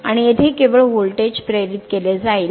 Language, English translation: Marathi, So, only voltage will be induced here and here